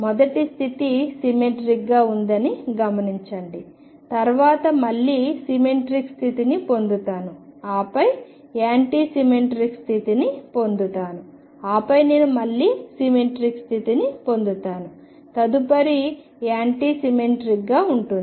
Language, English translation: Telugu, Notice that the first state is symmetric, then I get an anti symmetric state, then I get a symmetric state again, next one will be anti symmetric